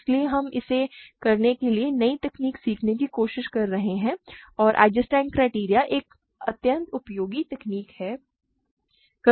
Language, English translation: Hindi, So, we are just trying to learn new techniques to do it and Eisenstein criterion is an extremely useful technique